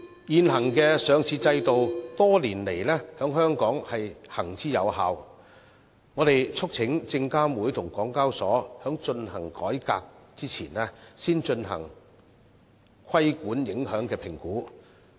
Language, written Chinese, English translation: Cantonese, 現行的上市制度多年來在香港行之有效，我們促請證監會與港交所在進行改革前，先進行規管影響評估。, The existing listing regime has worked well in Hong Kong over the years . We urge SFC and HKEx to conduct regulatory impact assessment prior to the execution of any reform